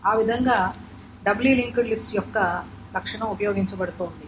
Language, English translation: Telugu, That is what the property of the double link list is being used